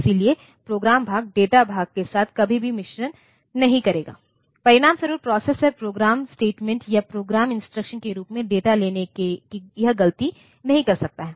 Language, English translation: Hindi, So, program part will never mix with data part, as a result the processor cannot do this mistake of taking a data as a program statement or program instruction